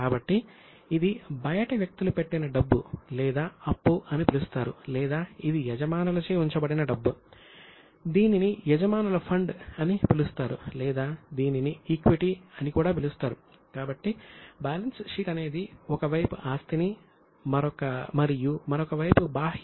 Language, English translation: Telugu, So, either it is money put in by outsiders which is known as liability or it is money put in by the owners themselves which is known as owners fund or it is also called as equity